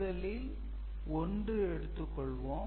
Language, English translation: Tamil, So, this 1 is coming over here